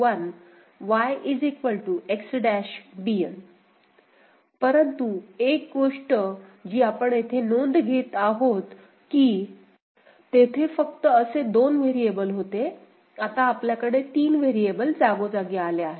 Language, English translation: Marathi, But, one thing that we note here that there only 2 such variable were there, now we have got 3 variable coming into place ok